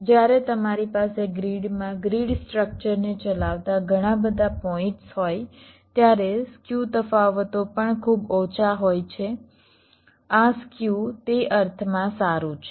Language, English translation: Gujarati, so when you have multiple points driving the grid structure across the grid, the skew differences, it is also very less